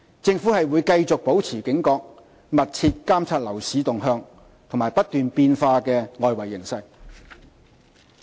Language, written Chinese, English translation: Cantonese, 政府會繼續保持警覺，密切監察樓市動向和不斷變化的外圍形勢。, The Government will remain vigilant and continue to closely monitor developments in the property market and the evolving external environment